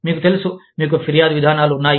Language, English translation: Telugu, You know, you have grievance procedures